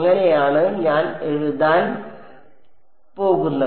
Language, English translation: Malayalam, That is how I am going to write it